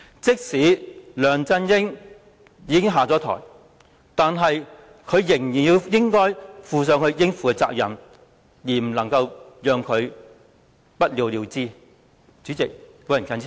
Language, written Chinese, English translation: Cantonese, 即使梁振英下台，他亦依然要負上應有的責任，不能夠讓事件不了了之。, And even if LEUNG Chun - ying steps down he still needs to be held accountable and we cannot let the case ends up in nothing